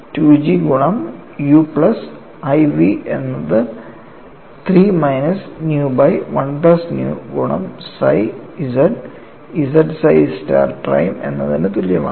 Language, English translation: Malayalam, 2G multiplied by u plus iv equal to 3 minus nu divided by 1 plus nu multiplied by psi of z z psi star prime